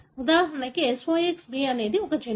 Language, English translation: Telugu, For example, SOX B, this is a gene